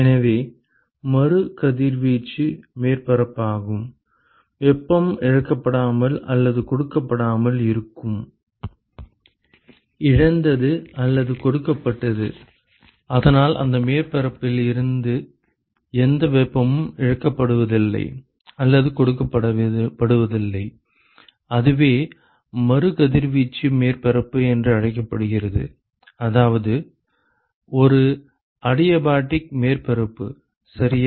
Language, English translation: Tamil, So, re radiating surface is essentially the one, where no heat is lost or given; lost from or given to; so no heat is lost from or given to that surface and that is what is called as a re radiating surface in say in some sense is like a an adiabatic surface ok